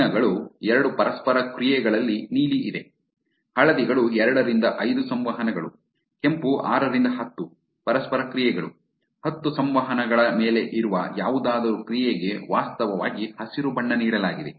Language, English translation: Kannada, The colors are blues is two interactions, yellows are two to five interactions, red is 6 to 10 interactions, anything that was above 10 interactions, which was actually given green